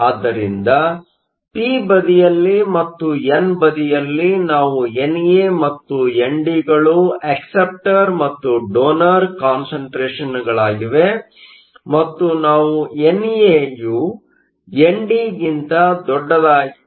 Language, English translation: Kannada, So, the p side and the n side, we have NA and ND as the concentration of acceptors and the concentration of donors